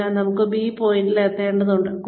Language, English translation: Malayalam, So, I need to reach point B